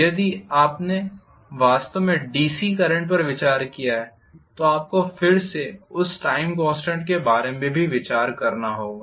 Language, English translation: Hindi, If you actually considered DC current you have to again consider the time constant there too